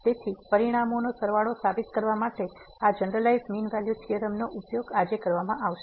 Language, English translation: Gujarati, So, this generalized mean value theorem will be used today to prove sum of the results